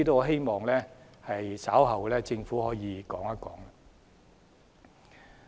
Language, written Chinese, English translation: Cantonese, 希望局長稍後能夠說一說。, I hope the Secretary will speak on this issue later